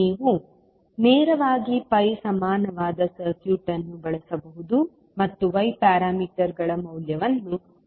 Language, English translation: Kannada, You can directly use the pi equivalent circuit and find out the value of y parameters